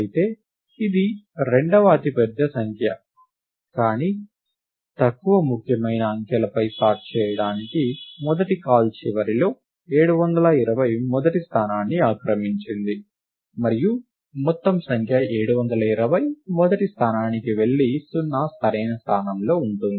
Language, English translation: Telugu, And however, its the second largest number; but it at the end of the first call to counting sort on the least significant digits, 720 occupies the first position and the whole number 720 goes to the first place and 0 is at the correct position